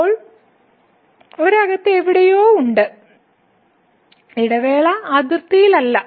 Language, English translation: Malayalam, So now, is somewhere inside the interval not at the boundary